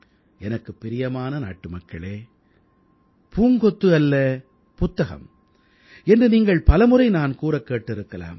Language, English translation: Tamil, My dear countrymen, you may often have heard me say "No bouquet, just a book"